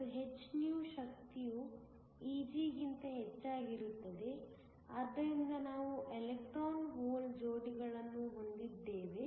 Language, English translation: Kannada, And the energy hυ is greater than Eg so that we have electron hole pairs